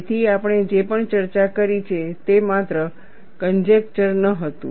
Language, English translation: Gujarati, So, whatever we have discussed, was not just a conjecture